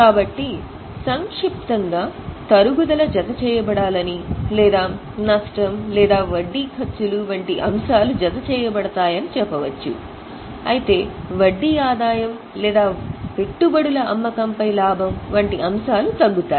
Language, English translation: Telugu, So, in short we can say that the depreciation should be added or items like loss or interest expenses are added while items like interest income or profit on sale of investments are reduced